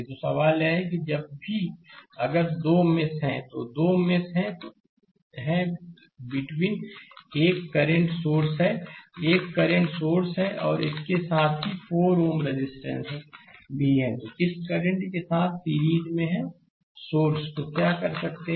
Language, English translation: Hindi, So, question is that that whenever you have a if there are 2 meshes there are 2 meshes in between, you look a current source is there, a current source is there and along with that one 4 ohm resistance is also there is in series with this current source, right